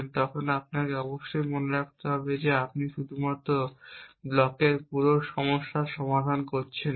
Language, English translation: Bengali, And when you make this observation you must keeping mind that you are not solving the only the blocks whole problem